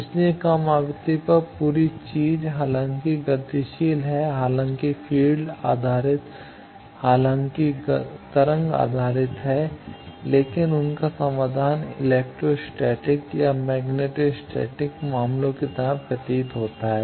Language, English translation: Hindi, So, at lower frequency the whole thing though dynamic though field based though wave based, but their solution appears to be like the electro static or magneto static cases